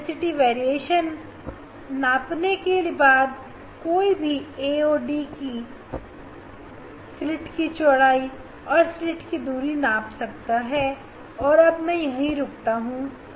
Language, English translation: Hindi, measuring the intensity variation one can find calculate the a and d slit separation, slit width and slit separation I will stop here